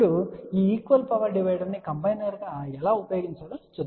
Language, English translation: Telugu, Now, let us see how we can use thisequal power divider as a combiner ok